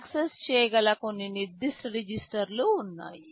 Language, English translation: Telugu, There are some specific registers which can be accessed